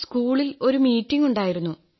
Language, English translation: Malayalam, There was a meeting in the school